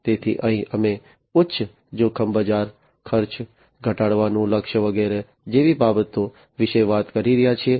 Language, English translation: Gujarati, So, here we are talking about you know things such as high risk market, target for lowering cost, etc